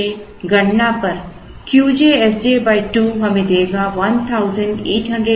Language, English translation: Hindi, So, Q j S j by 2 on computation would give us, 1837